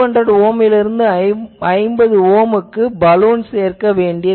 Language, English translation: Tamil, So, a 200 ohm to 50 Ohm Balun needs to be added